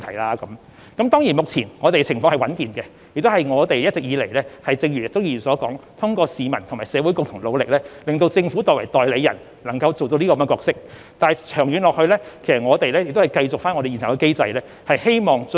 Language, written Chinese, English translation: Cantonese, 當然，香港現時的情況是穩健的，這正如鍾議員所說，是一直以來通過市民及社會的共同努力，才令政府作為代理人得以善盡其角色，但長遠來說，我們必須繼續奉行現有的機制。, Hong Kong does have a sound financial position at the moment and this as commented by Mr CHUNG is the fruit of the development in the territory and the hard work of our people . This has made the Government capable of performing its role as the agent of Hong Kong people but in the long run we must keep sticking to the existing mechanism